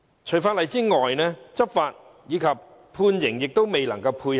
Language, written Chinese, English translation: Cantonese, 除法例外，執法及判刑亦未能配合。, Apart from legislation law enforcement and sentencing are not unsatisfactory